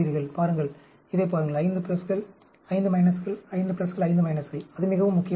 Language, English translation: Tamil, See, look at this, 5 pluses, 5 minuses, 5 pluses, 5 minuses; that is very important